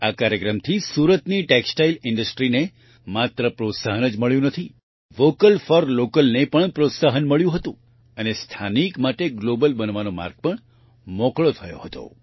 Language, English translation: Gujarati, This program not only gave a boost to Surat's Textile Industry, 'Vocal for Local' also got a fillip and also paved the way for Local to become Global